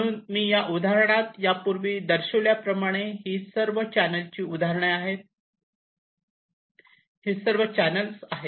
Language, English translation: Marathi, so, as i showed in that example earlier, these are all examples of channels